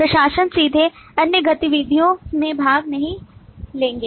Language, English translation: Hindi, Administrator will not directly take part in the other activities